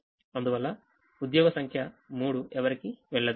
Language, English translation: Telugu, therefore, job number three does not go to anybody